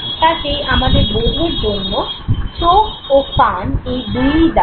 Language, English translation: Bengali, So, I and ears both are responsible for the process of perception